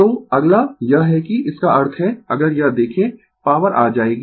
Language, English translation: Hindi, So, next is this that; that means, if you look into this, power will come